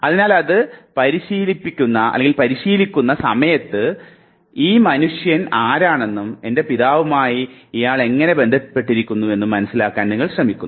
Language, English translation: Malayalam, So, while rehearsing it you try to understand who this man is and in what way is he related to my father